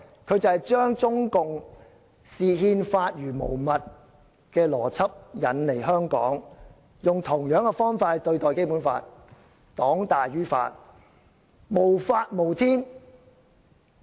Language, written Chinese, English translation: Cantonese, 他們把中共視憲法如無物的邏輯引入香港，用同樣的方法來對待《基本法》，是黨大於法，無法無天。, They are trying to introduce into Hong Kong CPCs logic of complete disregard for the Constitution; and they are adopting the same approach in dealing with the Basic Law ie